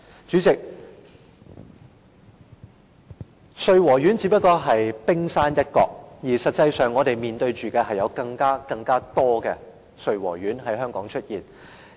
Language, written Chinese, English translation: Cantonese, 主席，穗禾苑的問題只不過是冰山一角，實際上，我們面對的是更多類似穗禾苑的問題在香港出現。, President the problem of Sui Wo Court is only the tip of the iceberg . In fact we face many more problems similar to that of Sui Wo Court in Hong Kong